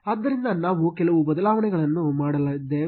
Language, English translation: Kannada, Therefore, we are going to make few changes